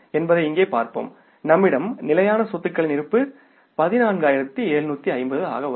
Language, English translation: Tamil, So, the final balance of the fixed assets is the 14,750